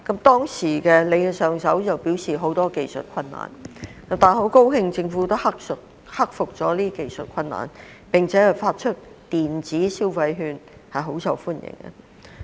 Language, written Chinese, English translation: Cantonese, 當時，上一任局長表示有很多技術困難，我很高興今年政府克服了技術困難，並且發出電子消費券，非常受歡迎。, At that time the former Secretary for Financial Services and the Treasury said that there were many technical difficulties . I am very glad that this year the Government has overcome the technical difficulties and disbursed electronic consumption vouchers which are very popular